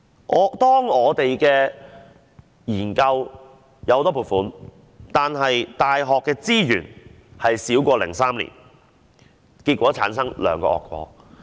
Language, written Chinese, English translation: Cantonese, 儘管我們的研究獲得很多撥款，但大學的資源卻少過2003年，結果造成兩個惡果。, Even though we obtain huge subsidies for research purposes yet the resources allocated for universities are far less than those allocated in 2003 giving rise to two irreparable consequences